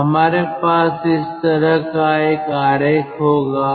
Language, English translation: Hindi, so we will have this kind of a figure